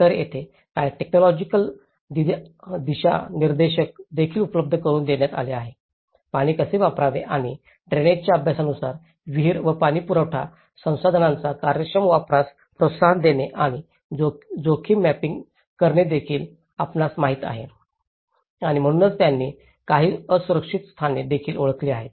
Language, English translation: Marathi, So, there have been also provided with certain technical guidelines, how to use water and you know promoting an efficient use of wells and water supply resources and risk mapping has been done on the drainage studies and they also identified certain vulnerable locations, so, there have been also communicated to the people